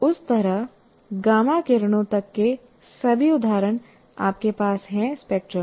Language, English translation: Hindi, And like that you have examples of all the way up to gamma rays